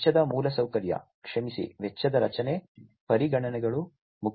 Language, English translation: Kannada, Cost infrastructure, sorry, cost structure, considerations are important